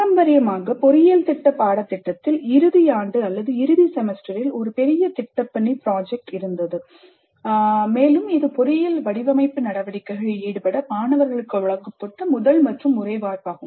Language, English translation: Tamil, Traditionally, engineering program curricula included a major project work in the final year or final semester and this was the first and only opportunity provided to the students to engage with engineering design activity